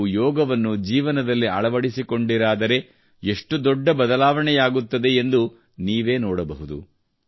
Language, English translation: Kannada, See, when you join yoga, what a big change will come in your life